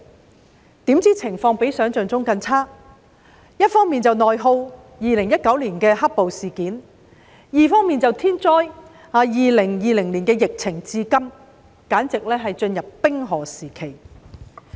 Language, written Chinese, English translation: Cantonese, 殊不知情況比想象中更差，一方面是內耗，即2019年的"黑暴"事件；另一方面就是天災 ，2020 年的疫情一直持續至今。, To our surprise the situation was worse than expected . There was internal attrition in society ie . the black - clad riots in 2019 on the one hand and on the other hand came the natural disaster of the epidemic in 2020 which has continued to this day